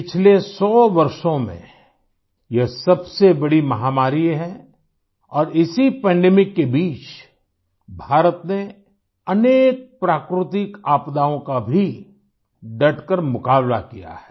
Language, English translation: Hindi, This has been the biggest pandemic in the last hundred years and during this very pandemic, India has confronted many a natural disaster with fortitude